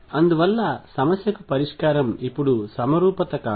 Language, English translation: Telugu, And therefore, the solution is not symmetry now to the problem